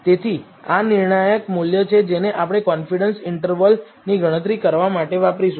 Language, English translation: Gujarati, So, this is the critical value we are going to use this to compute the confidence interval